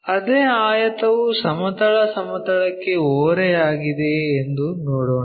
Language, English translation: Kannada, Let us look at if the same rectangle is inclined to horizontal plane